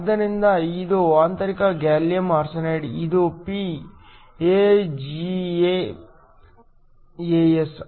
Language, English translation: Kannada, So, this is intrinsic gallium arsenide this is p AlGaAs